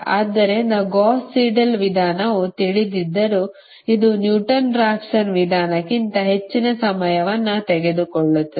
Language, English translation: Kannada, so although gauss seidel method is, you know it takes computational time is more than the newton raphson method